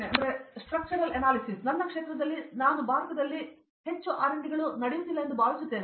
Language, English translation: Kannada, So, in my field I feel that not much R&Ds happening in India